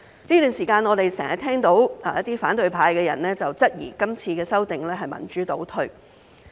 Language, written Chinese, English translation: Cantonese, 這段時間，我們經常聽到一些反對派的人質疑今次的修訂是民主倒退。, During this period of time we have often heard opposition figures querying whether this amendment exercise is a retrograde step for democracy